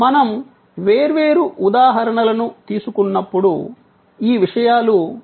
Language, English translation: Telugu, As we take different examples, we will see how these things are play out